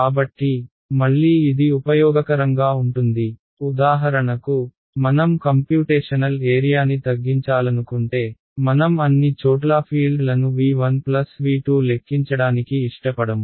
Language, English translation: Telugu, So, again this is this can be useful if for example, I want to reduce the area of my computation I do not want to compute the fields everywhere in V 1 plus V 2